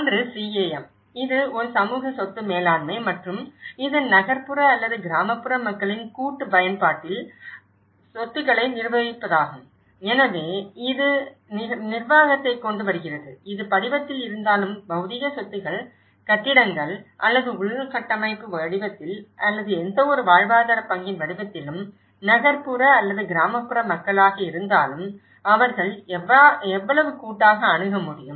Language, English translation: Tamil, One is CAM, which is a community asset management and we also refers CAM, it is the management of physical assets in collective use by urban or rural populations so, this brings the management so, these are the physical assets whether it is in the form of buildings or in a form of infrastructure or in the form of any livelihood stock so, how collectively they are able to access, whether it is an urban or rural population